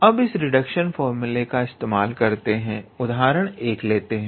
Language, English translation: Hindi, Now, let us say we want to apply this reduction formula to find, so example 1